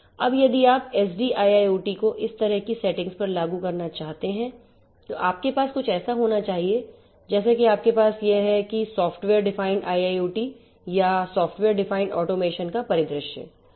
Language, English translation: Hindi, Now if you want to implement SDIIoT on these kind of settings you are going to have something like that you have this is the holistic pictorial view of software defined IIoT or software defined automation